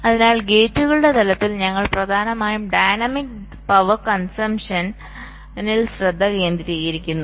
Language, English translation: Malayalam, so, at the level of gates, we are mainly concentrating at the dynamic power consumption